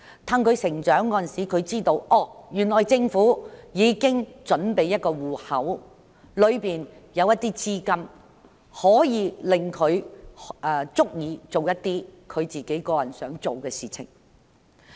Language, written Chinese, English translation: Cantonese, 當他們長大後，便知道政府已經準備了一個戶口，裏面的資金足以讓他們做自己想做的事情。, When they grow up they will know that the Government has prepared an account with enough funds for them to do what they want